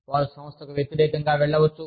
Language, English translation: Telugu, They could go, against the organization